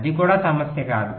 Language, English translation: Telugu, that will not be a problem, right